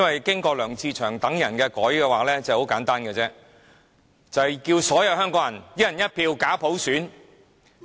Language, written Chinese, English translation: Cantonese, 經過了梁志祥議員等人的修改，便很簡單，就是叫所有香港人"一人一票"假普選。, As the motion is amended by Mr LEUNG Che - cheung and the like it is very simple they try to convince Hong Kong people to accept a fake one person one vote universal suffrage